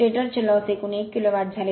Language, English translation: Marathi, The stator losses total 1 kilowatt